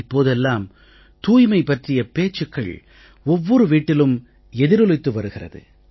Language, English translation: Tamil, The concept of cleanliness is being echoed in every household